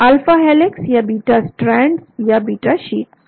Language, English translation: Hindi, alpha helix or beta strands or beta sheets